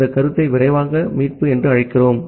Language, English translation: Tamil, We call this concept as the fast recovery